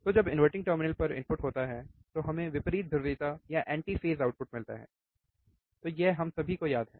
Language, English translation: Hindi, So, opposite polarity or anti phase output when you have inverting input at the inverting terminal, right this we all remember